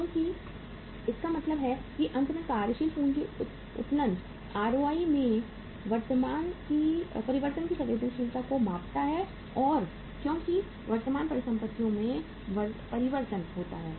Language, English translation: Hindi, So it means finally the working capital leverage measures the sensitivity of change in the ROI as there is a change in the current assets